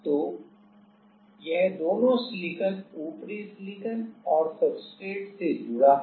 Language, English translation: Hindi, So, this is connected to both the silicon like the top silicon and also the substrate